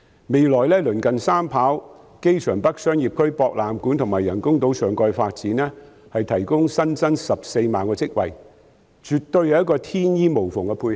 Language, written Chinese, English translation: Cantonese, 未來鄰近三跑、機場北商業區、博覽館及人工島上蓋的發展，將可增加14萬個職位，絕對是一個天衣無縫的配合。, In the future the adjacent third runway the North Commercial District on the airport island the AsiaWorld - Expo AWE and the topside development of the artificial island will altogether provide an additional 140 000 jobs which is definitely a perfect match